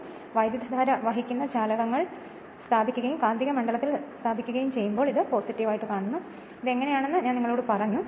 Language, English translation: Malayalam, So, that means, when conductors are placed carrying current and placed in the magnetic field this is your that is the plus and this is the dot I told you how it is right